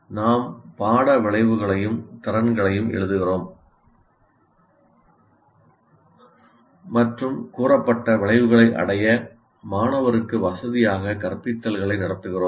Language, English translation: Tamil, We write course outcomes and competencies and conduct instruction to facilitate the student to attain the stated outcomes